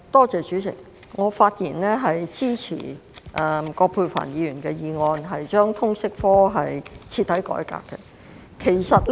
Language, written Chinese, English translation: Cantonese, 主席，我發言支持葛珮帆議員"徹底改革通識教育科"的議案。, President I speak in support of Ms Elizabeth QUATs motion on Thoroughly reforming the subject of Liberal Studies